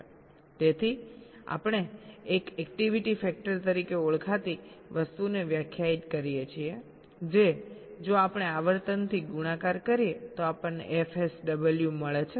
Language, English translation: Gujarati, so we define something called an activity factor which if we multiplied by the frequency we get f sw